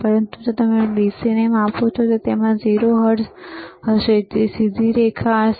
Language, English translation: Gujarati, But if you measure DC it will have 0 hertz, straight line